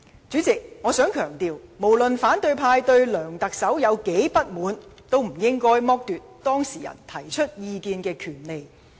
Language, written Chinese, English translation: Cantonese, 主席，我想強調，無論反對派議員對梁特首如何不滿，亦不應剝奪當事人提出意見的權利。, President I would like to stress that no matter how opposition Members are dissatisfied with Chief Executive LEUNG Chun - ying they should not deprive the right of the subject of inquiry to express views